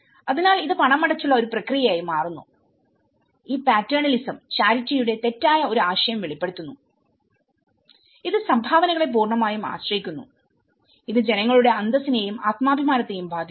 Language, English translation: Malayalam, So, it becomes a paid process and this paternalism reveals a mistaken concept of charity, which has created an absolute dependence on donations, affecting the population’s dignity and self esteem